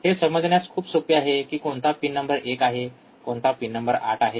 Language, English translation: Marathi, It is easy to understand which is pin number one, alright and which is pin number 8